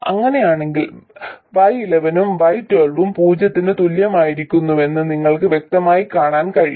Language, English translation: Malayalam, So if this is the case you can clearly see that Y 1 1 and Y 1 2 will be identically equal to 0